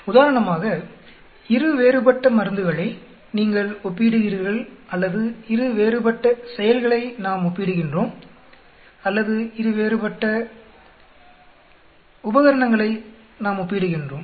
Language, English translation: Tamil, For example, two different drugs you are comparing or two different activities we are comparing or two different instruments we are comparing